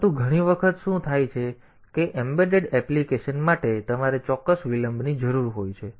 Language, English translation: Gujarati, But many times what happens is that for embedded applications you need some precise delay